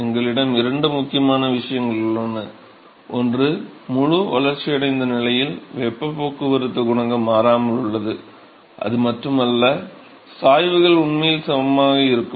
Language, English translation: Tamil, So, we have got two important things one is that the heat transport coefficient remains constant in the fully developed region, and not just that, the gradients are actually equal